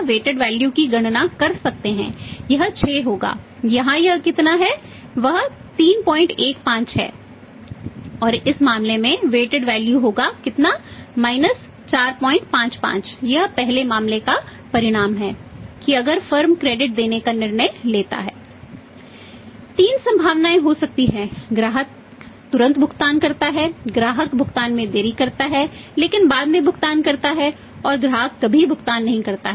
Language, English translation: Hindi, There can be three possibilities customer promptly pays, customer delays the payment but pays later on and customer never pays